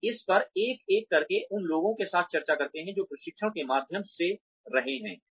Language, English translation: Hindi, We discuss this one on one with the people, who have been through the training